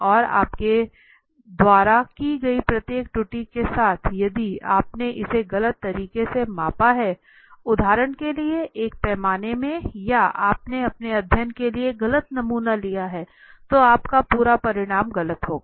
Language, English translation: Hindi, And with each error that you have done, if you have measured it wrongly for example, in a scale or you have taken the wrong sample for your study, then your complete outcome will be wrong right